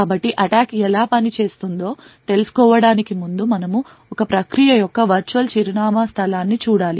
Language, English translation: Telugu, So, before we go into how the attack actually works, we would have to look at the virtual address space of a process